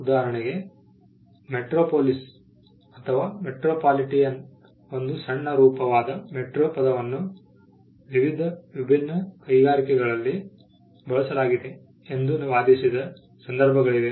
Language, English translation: Kannada, For instance, there has been cases where it has been argued that the word metro which is a short form for metropolis or metropolitan has been used in various distinct industries